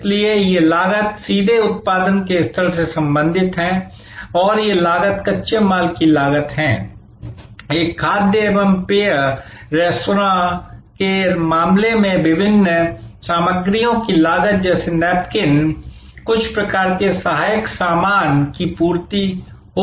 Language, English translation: Hindi, So, they are therefore, these costs are directly related to the level of production and these costs are costs of raw material, cost of different ingredients in the case of a food and beverage restaurant or it could be certain types of ancillary stuff supply like napkins and so on, etc